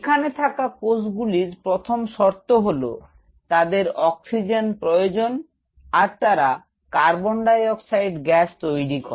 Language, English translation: Bengali, These cells out here have the first parameter they need Oxygen and they give out Carbon dioxide